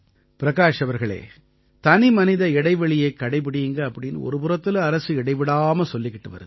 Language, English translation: Tamil, Prakash ji, on one hand the government is advocating everyone to keep a distance or maintain distance from each other during the Corona pandemic